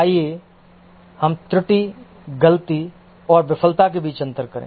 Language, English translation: Hindi, Let's distinguish between error, fault and failure